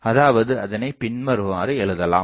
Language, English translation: Tamil, So, we can from that expression we can write